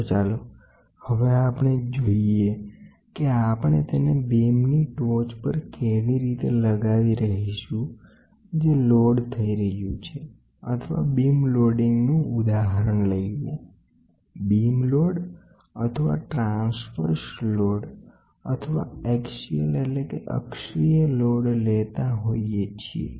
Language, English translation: Gujarati, So, now let us see how do we stick it on top of a beam which is getting loaded or beam loading example, we can see or beam load or transverse load or axial load taking